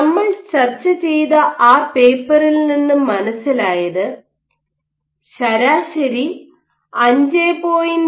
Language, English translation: Malayalam, This we discussed that paper we showed that you have on an average of 5